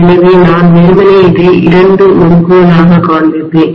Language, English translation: Tamil, So I would simply show that as two windings like this, right